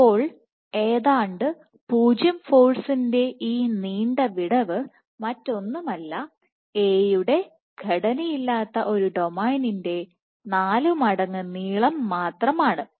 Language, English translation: Malayalam, So, this long gap of almost 0 force is nothing, but 4 times the length of one unstructured domain of A